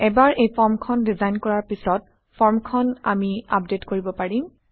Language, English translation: Assamese, Once we design this form, we will be able to update the form